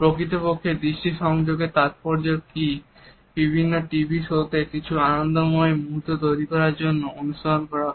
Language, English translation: Bengali, In fact, the significance of eye contact has been adapted in various TV shows to create certain hilarious moments